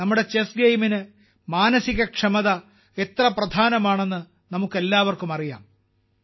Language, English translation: Malayalam, We all know how important mental fitness is for our game of 'Chess'